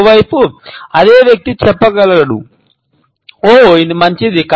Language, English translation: Telugu, On the other hand, the same person can say, oh, it was good